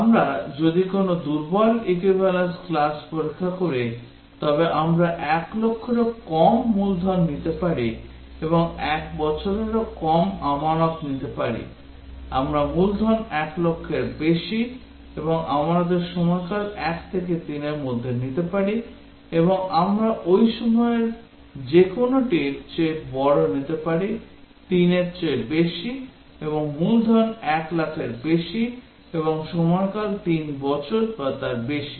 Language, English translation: Bengali, If we do a weak equivalence class testing, we can take principal less than 1 lakh and deposit less than 1 year, we can take principal more than 1 lakh and period of deposit between 1 to 3 and we can any of these that period is greater than 3 and principal is greater than to 1 lakh and period is 3 year and above